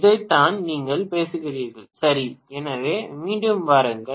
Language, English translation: Tamil, This is what you are talking about, right, so come on again